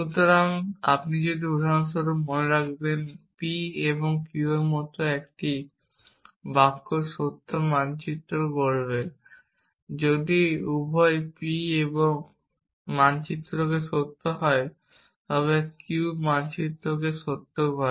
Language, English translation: Bengali, So, if you remember for example, a sentence like p and q would map to true if both p map to true and q map to true and so on